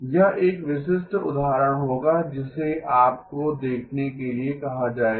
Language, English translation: Hindi, That would be a typical example that you would have been asked to look at okay